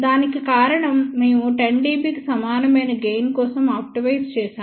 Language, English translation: Telugu, The reason for that is we had optimized for the gain equal to 10 dB